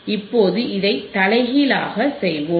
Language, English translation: Tamil, Now we will do the reverse of this,